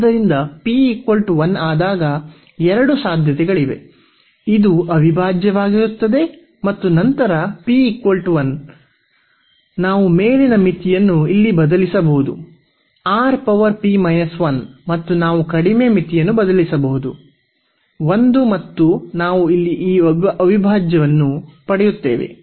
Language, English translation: Kannada, So, there will be two possibilities when p is equal to 1, then this will be the integral and then p is equal to 1, this will be the integral and then we can substitute the upper limit here R power p minus 1 and we can substitute the lower limit as a and we will get this integral here